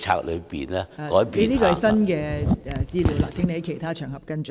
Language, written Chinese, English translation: Cantonese, 這是新的資料，請在其他場合跟進。, That is a new issue; please follow it up on other occasions